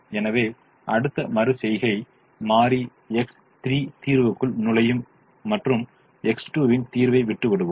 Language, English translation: Tamil, so in the next iteration variable x three will enter the solution and variable x two will leave the solution